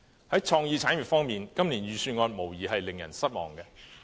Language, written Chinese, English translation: Cantonese, 在創意產業方面，今年預算案無疑令人失望。, Regarding creative industries this years Budget is undoubtedly disappointing